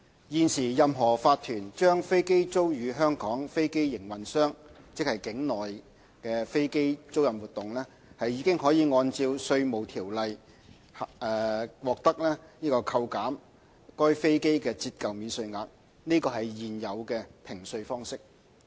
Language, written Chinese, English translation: Cantonese, 現時，任何法團將飛機租予香港飛機營運商，即境內飛機租賃活動，已可按《稅務條例》獲得扣減該飛機的折舊免稅額，這是現有的評稅方式。, At present any corporation which leases aircraft to Hong Kong aircraft operators in other words those engaging in onshore aircraft leasing activities are entitled to obtain depreciation allowance in respect of the subject aircraft under the Inland Revenue Ordinance . This is the existing tax assessment regime